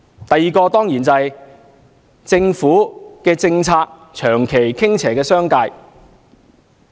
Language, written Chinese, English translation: Cantonese, 第二，政府政策長期傾斜於商界。, Second the Government has tilted in favour of the business sector for prolonged periods